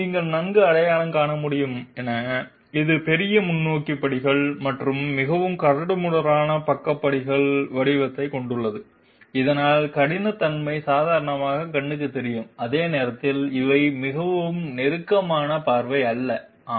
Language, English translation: Tamil, As you can well identify, this one has large forward steps and also a very coarse side step pattern so that roughness will be visible to the naked eye while these are not so a closer look perhaps, yes